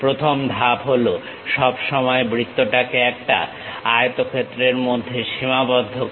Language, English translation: Bengali, The first step is always enclose a circle in a rectangle